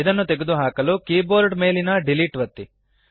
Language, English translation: Kannada, To delete it, press the delete button on the keyboard